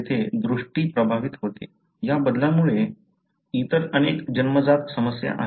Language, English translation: Marathi, Here, the vision is affected; there are many other congenital problems, because of these changes